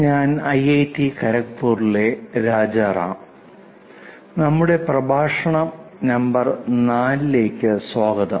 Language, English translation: Malayalam, I am Rajaram from IIT Kharagpur, welcome to our lecture number 4